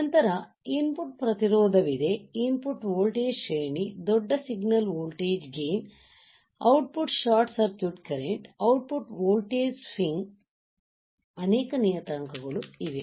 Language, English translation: Kannada, Then there is input resistance followed by input voltage range, large signal voltage gain, output short circuit current, output voltage swing see